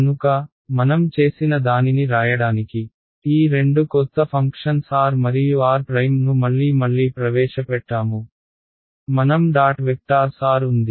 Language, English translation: Telugu, So, what I have done is I have introduced these two new functions, also because we are going to write r and r prime again and again and again, I have drop the vectors sign over r ok